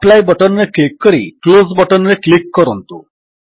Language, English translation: Odia, Now click on the Apply button and then click on the Close button